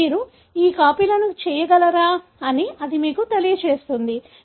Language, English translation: Telugu, That would tell you whether you are able to make these copies